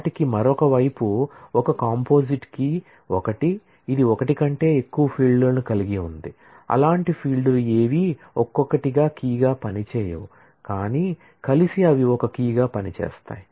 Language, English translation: Telugu, They have other side is a composite key is one, which has more than one field such that none of those fields individually can act as a key, but together they can act as a key